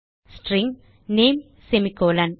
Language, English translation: Tamil, String name semicolon